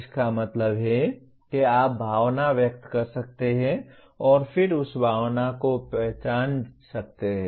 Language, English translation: Hindi, That means you can express emotion and then recognize that emotion